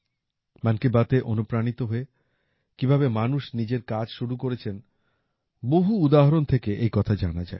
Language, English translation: Bengali, There are many more examples, which show how people got inspired by 'Mann Ki Baat' and started their own enterprise